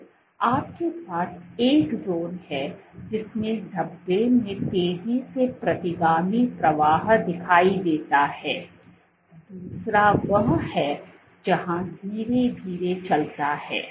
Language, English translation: Hindi, So, you have one zone in which speckles exhibit fast retrograde flow, second one where moves slowly